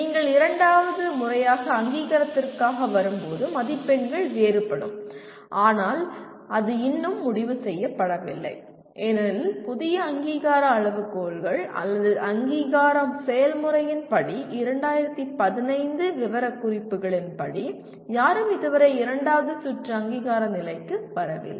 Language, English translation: Tamil, When you come for the second time for accreditation the marks are different but that has not been yet decided because as per the new accreditation criteria or accreditation process no one has yet come to the level of second round accreditation as per the 2015 specifications